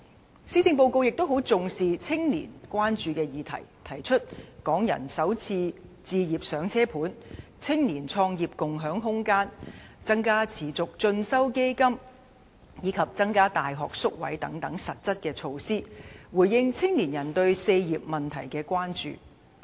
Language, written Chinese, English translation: Cantonese, 此外，施政報告亦很重視青年關注的議題，提出"港人首置上車盤"、青年創業共享空間、增加持續進修基金，以及增加大學宿位等實質措施，藉此回應青年人對"四業"問題的關注。, In addition the Policy Address also attaches great importance to issues that young people are concerned about . It proposes substantive measures such as Starter Homes Space Sharing Scheme for Youth injecting additional funds into the Continuing Education Fund and increasing university hostel facilities so as to meet young peoples concerns in four aspects namely education home acquisition employment and business start - up